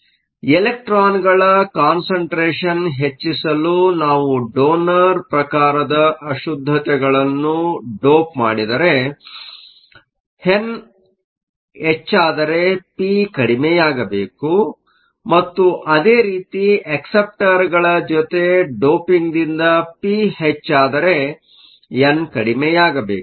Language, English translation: Kannada, So, If we doped with donor type impurities to increase the concentration of electrons, so if n goes up, p has to go down and similarly, if p goes up by doping with acceptors then n has to go down